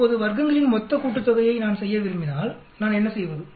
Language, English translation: Tamil, Now if I want to do the total sum of squares what do I do